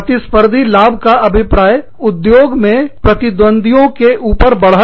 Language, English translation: Hindi, Competitive advantage means, having an advantage, over the competitors, in the industry